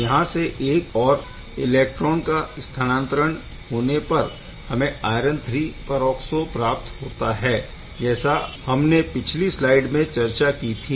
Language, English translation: Hindi, So, from there on another electron transfer gives rise to the iron III peroxo as we have discussed in the last slide